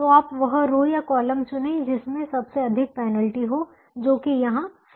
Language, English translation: Hindi, so you choose that row or column that has the largest penalty, which happens to be four